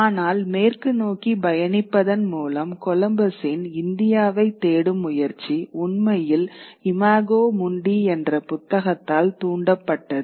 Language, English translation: Tamil, But the book that really triggered Columbus's search for India by traveling westwards was a book called Imajo Mundi